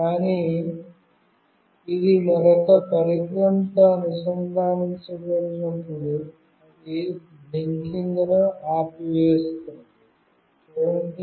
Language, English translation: Telugu, But, when it is connected with another device, then it will stop blinking